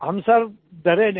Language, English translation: Hindi, But we didn't fear